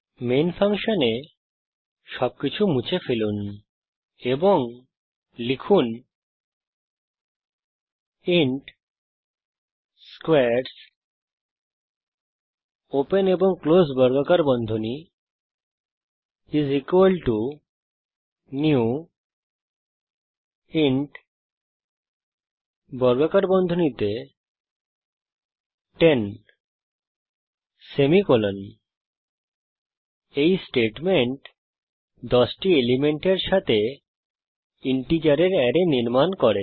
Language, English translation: Bengali, Remove everything in main function and type int squares [] = new int [10] This statement creates an array of integers having 10 elements